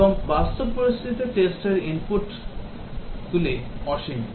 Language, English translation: Bengali, And for practical situations the test inputs are infinite